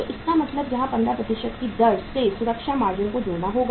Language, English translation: Hindi, So it means add here add safety margin, safety margin at the rate of 15%